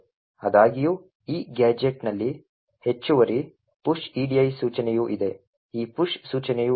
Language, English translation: Kannada, However, this gadget also has an additional push edi instruction also present, why does this push instruction present